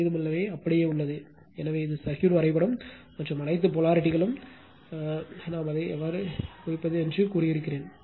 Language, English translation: Tamil, Race 2 remains same, so this is the circuit diagram and all polarity as instantaneous polarity I told you how to mark it